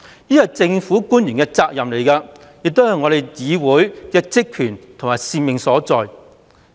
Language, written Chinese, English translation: Cantonese, 這是政府官員的責任，亦是議會的職權及使命所在。, This is a duty of government officials and also a function and mission of the legislature